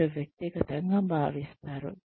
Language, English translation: Telugu, They feel that, it is individual